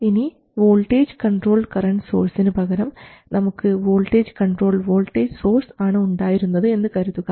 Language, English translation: Malayalam, We have seen how to make a voltage controlled voltage source as well as a current controlled voltage source